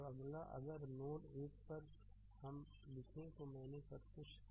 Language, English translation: Hindi, So, next if you write now at node 1 I at node 1 I given you everything right